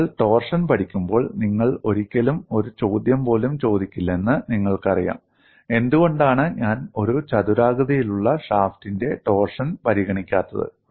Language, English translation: Malayalam, You never even asked a question, when you were learning torsion, why I am not considering torsion of a rectangular shaft